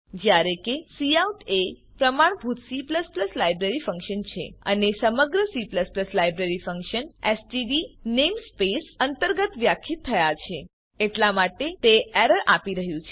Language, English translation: Gujarati, As cout is the standard C++ library function and the entire C++ library function is defined under std namespace Hence it is giving an error